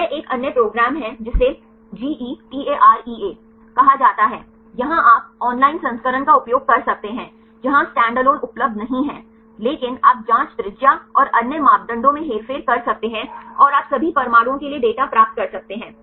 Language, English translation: Hindi, This is another program is called the GETAREA, here you can use the online version where standalone not available, but you can manipulate the probe radius and other parameters and you can get the data for all atoms